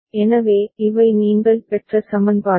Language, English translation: Tamil, So, these are the equations that you have obtained